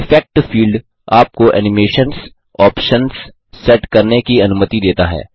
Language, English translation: Hindi, The Effect field allows you to set animations options